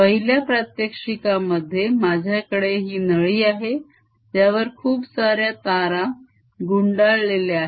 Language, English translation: Marathi, in the first demonstration i have this tube on which a lot of wire has been wound